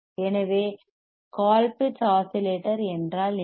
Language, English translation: Tamil, So, what is a Colpitt’s oscillator